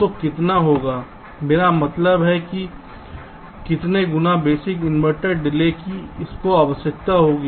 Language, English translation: Hindi, i mean, how many times of the basic inverter delay will it require